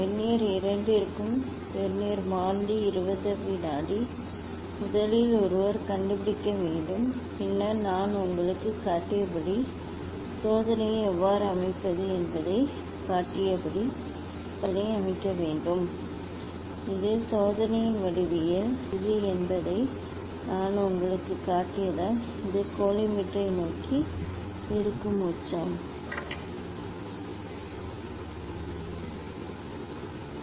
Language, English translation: Tamil, for both Vernier the Vernier constant is 20 second, that one has to find out first Then set the experiment as I showed how to set the experiment, as I showed you; as I showed you that this is the geometry of the experiment this is the base, this is the apex it will be towards the collimator, this my prism